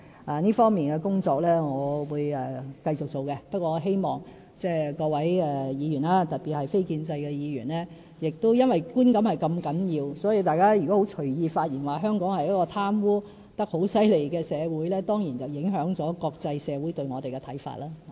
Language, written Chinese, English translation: Cantonese, 我會繼續進行這方面的工作，但我希望各位議員，特別是非建制派議員，由於觀感如此重要，所以如果大家隨意發言，指香港是一個貪污問題嚴重的社會，當然會影響國際社會對我們的看法。, I will continue with my work in this regard . But since perception has such a great influence I hope Members especially non - establishment Members can stop commenting lightly that Hong Kong is a society with serious corruption problems lest the perception of the international community towards Hong Kong may be adversely affected